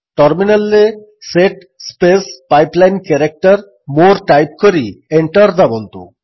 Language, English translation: Odia, Type at the terminal: set space pipeline character more and press Enter